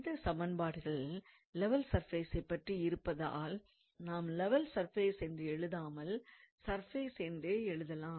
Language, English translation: Tamil, And since the equation of the level surface or of the surface simply we do not have to write levels